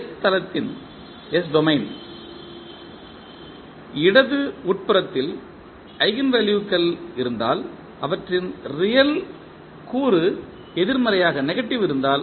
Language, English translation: Tamil, If the eigenvalues are on the left inside of the s plane that means if they have the real component negative